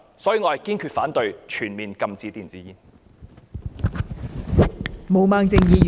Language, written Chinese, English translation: Cantonese, 所以，我堅持反對全面禁止電子煙。, Therefore I insist on opposing the total ban on e - cigarettes